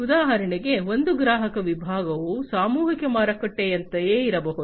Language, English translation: Kannada, For example, one customer segment could be something like the mass market